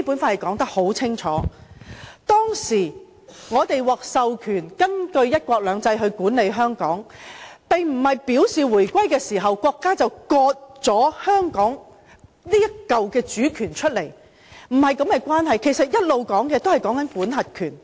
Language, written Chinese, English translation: Cantonese, 我們當時獲授權根據"一國兩制"管理香港，這並非表示，在回歸後，國家便會"割出"香港主權，並不是這種的關係，我們所談的一直也是管轄權。, But this does not mean that our country will cede the sovereignty to Hong Kong after our reunification with China . It is not like that . All along we are talking about the right to administer Hong Kong